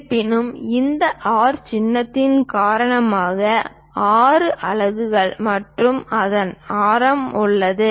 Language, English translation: Tamil, However, we have a radius of 6 units and its radius because of this R symbol